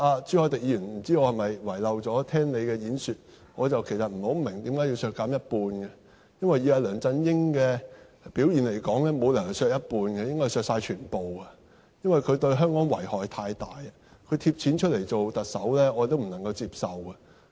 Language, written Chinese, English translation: Cantonese, 朱凱廸議員，不知道我是否遺漏聆聽你的發言，我不太明白為何是削減一半，因為以梁振英的表現來說，沒有理由是削減一半，應該是削減全部，因為他對香港遺害太大，他"貼錢"做特首我也不能接受。, Mr CHU Hoi - dick I am not sure if I have missed something from your speech so that I do not understand why the proposed cut is only 50 % . On the basis of his performance it is unreasonable to propose cutting his personal emolument by half it should rather be by full . Considering the great harm he has brought to Hong Kong it is unacceptable even he pays out of his own pocket for the Chief Executive post